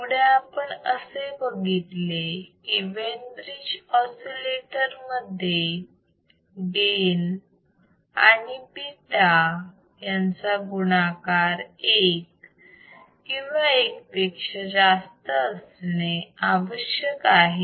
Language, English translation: Marathi, Then we have seen then in the case of Wein bridge oscillator the gain into beta right that the condition should be greater than equal to 1